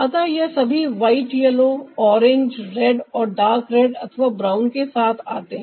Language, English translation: Hindi, so all this white, ah yellow, ah, orange, red and ah the dark red or brown, they come together